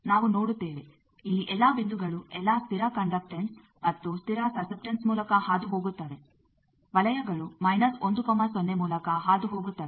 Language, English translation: Kannada, We will see that here all the points are passing through all the constant conductance and constant susceptance circles passed through 1,0